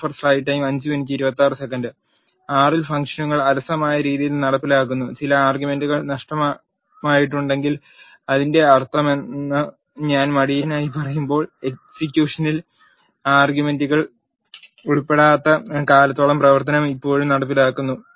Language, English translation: Malayalam, In R the functions are executed in a lazy fashion, when we say lazy what it mean is if some arguments are missing the function is still executed as long as the execution does not involve those arguments